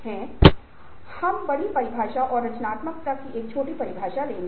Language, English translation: Hindi, however, there is a larger definition of creativity and a smaller definition of creativity